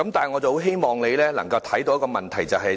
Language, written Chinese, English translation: Cantonese, 我很希望你能明白問題所在。, I do hope you understand where the problem lies